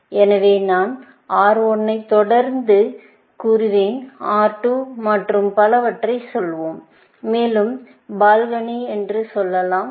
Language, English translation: Tamil, So, I will just say, R1 followed by, let us say R2 and so on, and let us say, balcony